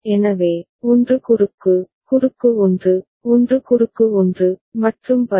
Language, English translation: Tamil, So, 1 cross, cross 1, 1 cross 1, and so on